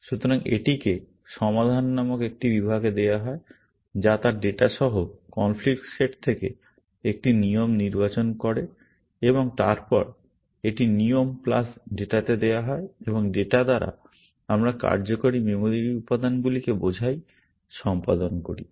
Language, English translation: Bengali, So, this is given to an section called resolve, which selects one rule from the conflict set, along with its data and then, this is given to rule plus data, and by data, we mean the working memory elements; execute